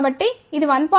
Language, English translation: Telugu, So, what is a 1